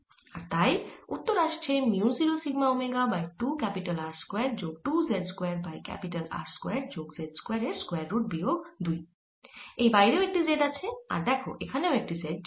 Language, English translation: Bengali, so this is equal to mu zero sigma omega by two z over square root of r square plus z square to one d x, one over x square minus one